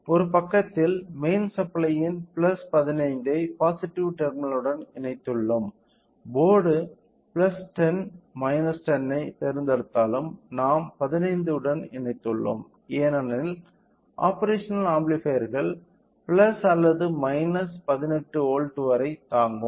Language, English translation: Tamil, So, we have connected the plus 15 to the main power one side which is the positive terminal; even though the board choose plus 10 minus 10 we have connected to the 15 because the operational amplifiers can be with stand up to plus or minus 18 volts